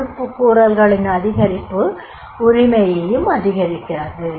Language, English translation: Tamil, Higher the fulfillment of the accountabilities, higher is the ownership